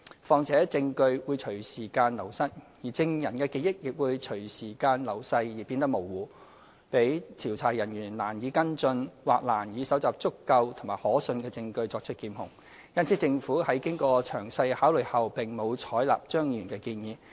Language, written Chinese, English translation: Cantonese, 況且，證據會隨時間流失，證人的記憶亦會隨着時間流逝而變得模糊，讓調查人員難以跟進或難以搜集足夠和可信的證據作出檢控，因此政府在經過詳細考慮後並無採納張議員的建議。, Besides with evidence and memory fading with the lapse of time it will be difficult for investigators to secure sufficient and reliable evidence for prosecution of the offences . For this reason the Government did not take on board Dr CHEUNGs proposal after thorough consideration